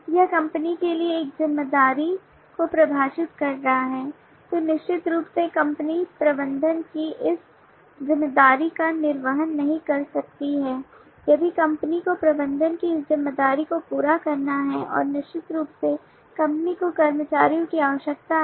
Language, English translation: Hindi, this is defining a responsibility for the company then certainly cannot the company disburse this responsibility of management if the company has to disburse this responsibility of management and certainly the company need the employees